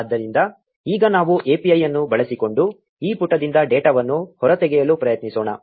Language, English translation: Kannada, So, now let us try to extract data from this page using the API